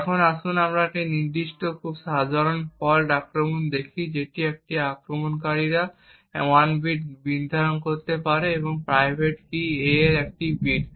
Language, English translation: Bengali, Now let us look at a particular and very simple fault attack where an attacker could determine 1 bit of a that is 1 bit of the private key a